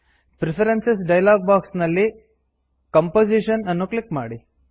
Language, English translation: Kannada, From the Preferences.dialog box, click Composition